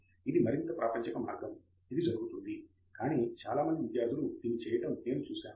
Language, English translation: Telugu, This is the more mundane way in which it happens, but I have seen many students do this